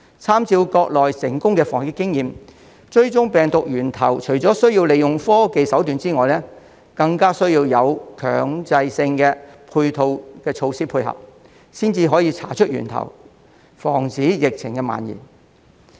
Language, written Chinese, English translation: Cantonese, 參照國內成功的防疫經驗，追蹤病毒源頭除了需要利用科技手段外，更需要有強制性的配套措施配合，才可以查出源頭，防止疫情蔓延。, The successful experience in the Mainland in fighting COVID - 19 tells us that apart from using technology there must also be compulsory supporting measures to trace the source of the virus and prevent the spread of the pandemic